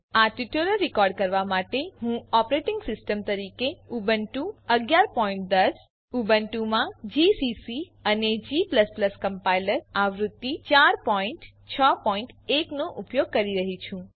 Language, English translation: Gujarati, To record this tutorial, I am using:Ubuntu 11.10 as the operating system gcc and g++ Compiler version 4.6.1 on Ubuntu